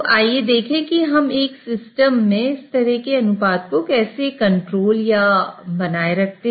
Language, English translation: Hindi, So, let us see how do we go about controlling or maintaining such kind of ratios in the system